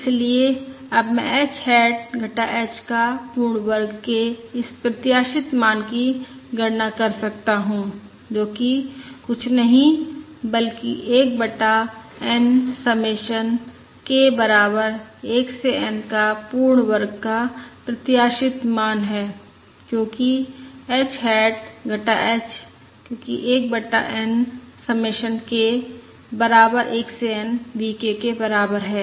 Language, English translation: Hindi, Therefore, now I can compute this expected value of h hat minus h whole square is nothing but the expected value of 1 over n submission k equal to 1 to n V k whole square, because h hat minus h is nothing but submission 1 over n V k And this is basically equal to